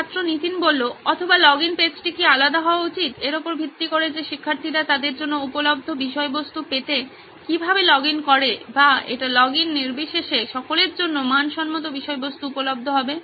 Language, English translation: Bengali, Or should the login page be separate so that based on how the student logs in the content would be available for him or would it be standard content available for all irrespective of login